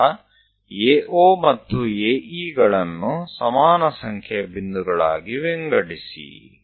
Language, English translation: Kannada, Then divide AO and AE into same number of points